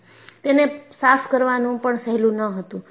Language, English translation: Gujarati, And, it was not easy to clean